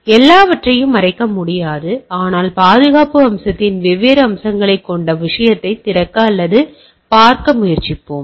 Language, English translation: Tamil, So it is not possible to cover everything, but we will try to open up or look at the thing that different aspects of the security aspect